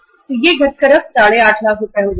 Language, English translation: Hindi, So it will come down to 8